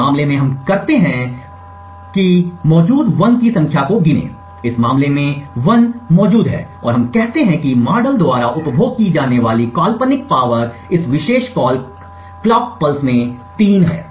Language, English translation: Hindi, In this case what we do is we simply count the number of 1s that are present, in this case there are three 1s present and we say that the hypothetical power consumed by the model is 3 in this particular clock pulse